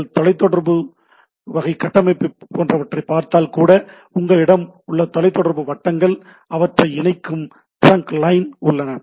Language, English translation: Tamil, Even if you see the telecom type of structure you have telecom circles etcetera, then you have the trunk line which connects them